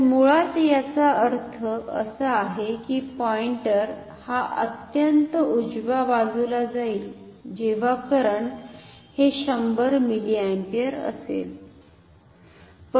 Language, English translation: Marathi, So, basically this means the pointer should go to the extreme right when the current is 100 milliampere